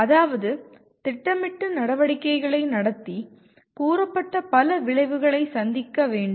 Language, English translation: Tamil, That is it has to plan and conduct its activities to meet several stated outcomes